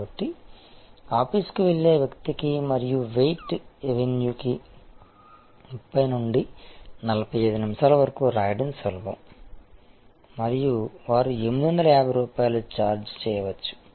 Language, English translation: Telugu, So, it is easier to for an office goer and estimated weight avenue a write that may be 30 to 45 minutes and they may be charging 850 rupees